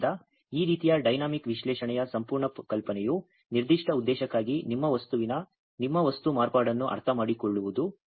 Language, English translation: Kannada, So, the whole idea of this type of dynamic analysis is to understand your material modification of your material for a particular purpose